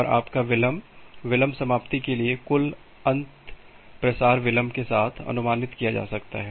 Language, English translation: Hindi, And your delay the total end to end delay can be approximated with the propagation delay